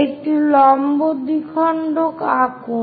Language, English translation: Bengali, Draw a perpendicular bisector